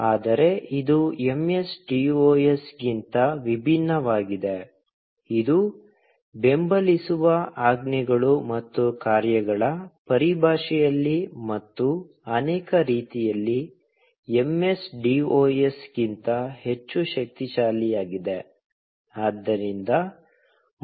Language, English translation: Kannada, But, it is very different than MSDOS, in terms of the commands and functions that it supports, and in many ways, is much more powerful than MSDOS